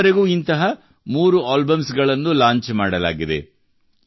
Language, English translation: Kannada, So far, three such albums have been launched